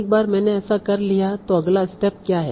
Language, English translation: Hindi, Now once I have done that what is the next step